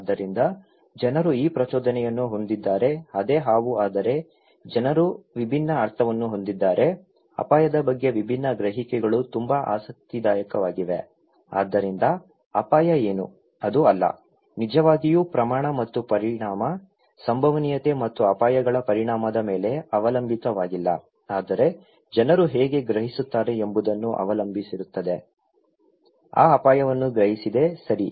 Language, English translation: Kannada, So, people have this stimulus is the same is a snake but people have different meaning, different perceptions about the risk so interesting, so what risk is; itís not, does not really depend on the magnitude and consequence, the probability and consequence of hazards but it also depends how people perceive; perceived that hazard, okay